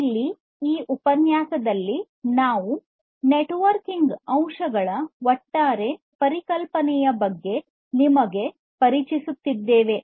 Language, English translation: Kannada, So, here in this lecture we are simply introducing you about the overall concept of the networking aspects